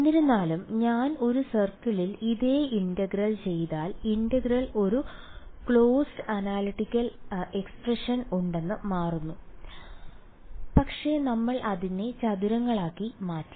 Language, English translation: Malayalam, However, if I do the same integral over a circle, it turns out that there is a closed analytical expression itself for the integral ok, but we discretized it into squares